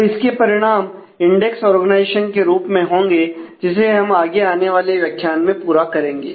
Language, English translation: Hindi, So, it will have implications in terms of indexed organization that will cover in the next modules